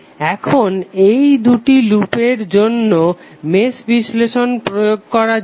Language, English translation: Bengali, Now let us apply the mesh analysis for these two loops